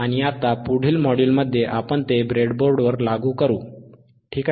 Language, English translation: Marathi, And now in the next module, we will implement it on the breadboard, alright